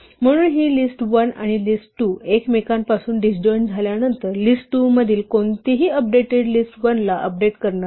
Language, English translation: Marathi, Therefore, after this list1 and list2 are disjoint from each other any update to list2 will not affect list1 any update to list1 will not affect list2